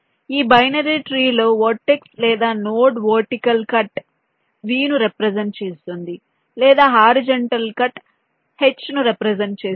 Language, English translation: Telugu, in this binary tree, the vertex, or a node, represents either a vertical cut, represent by v, or a horizontal cut, represented by h